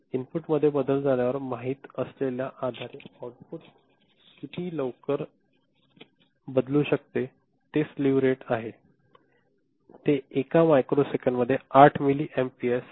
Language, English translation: Marathi, Slew rate is at how quickly it can change the output can change based on you know following a change in the input, it is 8 milliampere per microsecond